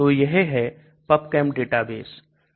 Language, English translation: Hindi, So this is called a PubChem database